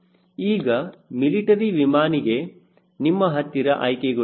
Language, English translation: Kannada, right now for a military air type aircraft you dont have option